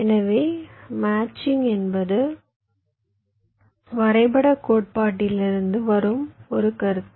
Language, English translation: Tamil, so matching is a concept that comes from graphs theory